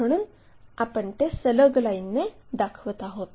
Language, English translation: Marathi, So, we show it by dashed line